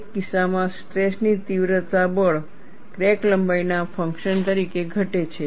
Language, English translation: Gujarati, In one case, stress intensity factor decreases as the function of crack length